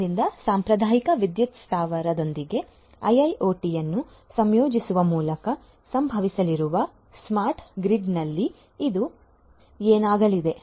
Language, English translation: Kannada, So, in a smart grid which is going to result in through the integration of IIoT with the traditional power plant this is what is going to happen